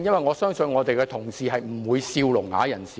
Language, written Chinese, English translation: Cantonese, 我相信建制派議員不會取笑聾啞人士。, I believe pro - establishment Members will not mock the deaf - mute